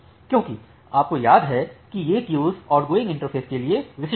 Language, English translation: Hindi, Because you remember that these queues are specific to outgoing interface